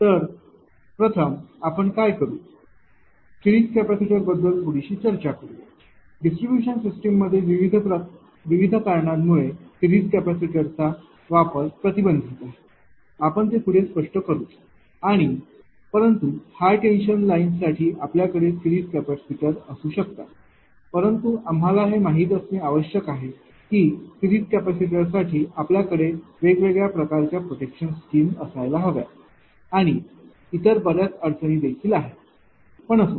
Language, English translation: Marathi, So, first what we will do; we will talk about little bit about series capaci[tor] capacitors also in the distribution systems ah application of series capacitor is restricted ah due to various reasons we will explain that and, but ah, but for high tension you may have series capacitors, but you need to you know have lot of protection different type of protection scheme for the series capacitors and there are many other reasons, but anyway